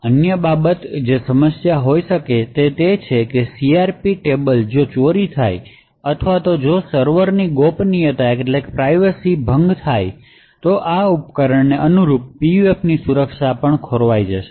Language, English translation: Gujarati, Other aspects that could be an issue is that the CRP tables if they are stolen or if the privacy of the server gets breached then the entire security of the PUFs corresponding to these devices would be lost